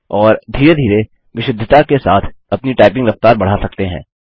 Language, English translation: Hindi, And gradually increase your typing speed and along with it your accuracy